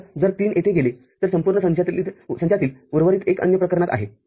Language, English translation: Marathi, So, if three go here, the remaining one out of the whole set, is there in the other case